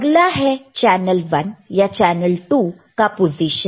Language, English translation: Hindi, Source channel one or channel 2 position, right